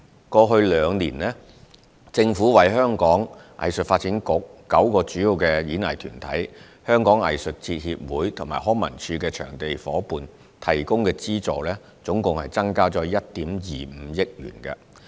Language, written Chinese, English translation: Cantonese, 過去兩年，政府為香港藝術發展局、9個主要演藝團體、香港藝術節協會和康文署的場地夥伴提供的資助共增加1億 2,500 萬元。, In the past two years the Government has increased the subvention for the Hong Kong Arts Development Council nine major performing arts groups Hong Kong Arts Festival Society and LCSDs Venue Partners by a total of 125 million